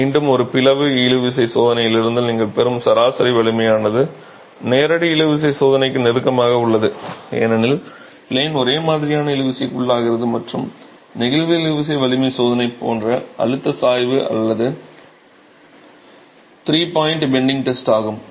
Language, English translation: Tamil, Again, the average strength that you would get from a split tension test is closer to the direct tension test because of the fact that the plane is being subjected to uniform tension and does not have a stress gradient like in the flexual tensile strength test or the three point bending test